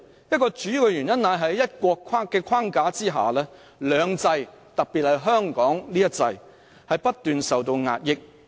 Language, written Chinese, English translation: Cantonese, 一個主要的原因是，在"一國"的框架下，"兩制"——特別是香港的一制——不斷受到壓抑。, One of the reasons being that the two systems especially the system in Hong Kong have been incessantly suppressed under the one country framework